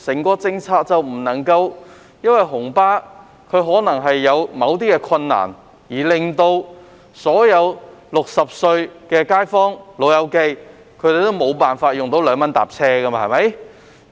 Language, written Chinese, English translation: Cantonese, 不能因為紅巴可能有某些困難，而令所有60歲的"老友記"無法享用2元乘車優惠。, We cannot deprive elderly people who have reached 60 of the 2 transport fare concession just because red minibus operators may have some difficulties